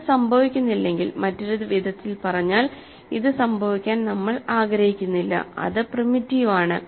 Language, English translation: Malayalam, If that does not happen, so in other words we do not want this to happen, then it is primitive